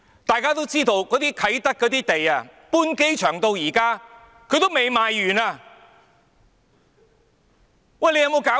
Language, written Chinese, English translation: Cantonese, 大家都知道，啟德的土地自機場搬遷至今仍未賣完，有沒有搞錯？, As we all know the land at Kai Tak has not been sold out to date after the relocation of the airport . How ridiculous is this?